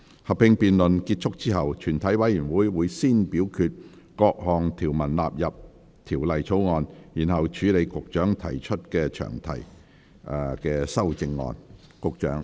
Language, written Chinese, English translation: Cantonese, 合併辯論結束後，全體委員會會先表決各項條文納入《條例草案》，然後處理局長就詳題提出的修正案。, Upon the conclusion of the joint debate committee will first vote on the clauses standing part of the Bill and then deal with the Secretarys amendment to the long title